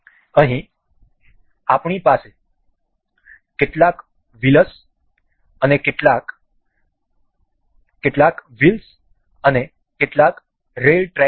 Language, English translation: Gujarati, Here, we have some wheels and some rail tracks over here